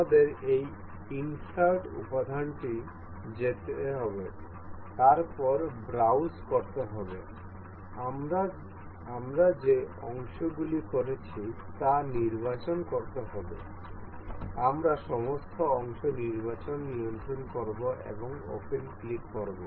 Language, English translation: Bengali, We will go on we have to go on this insert component then go to browse, we have to select the parts we have been we will control select all the parts and click open